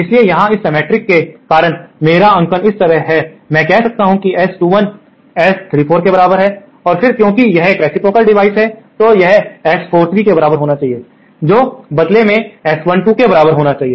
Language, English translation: Hindi, So, here my notation is like this because of this symmetry, I can say that S 21 is equal to S 34 and then because it is a reciprocal device, they should also be equal to S 43 which in turn should be equal to S12